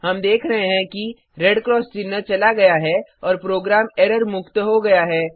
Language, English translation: Hindi, We see that the red cross mark have gone and the program is error free